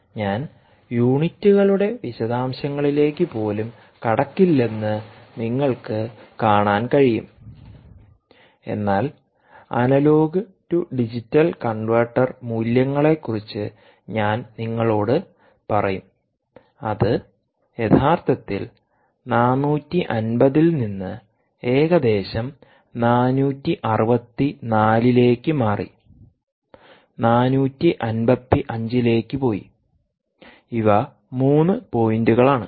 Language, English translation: Malayalam, i will not even get into the detail of the units, but i will just tell you about the analogue to digital converter values, which actually changed from four hundred and fifty to roughly ah four hundred and sixty four and went back to four hundred and fifty five